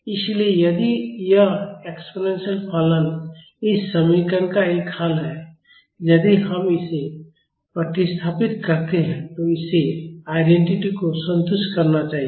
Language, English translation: Hindi, So, if this exponential function is a solution of this equation, if we substitute this in this it should satisfy the identity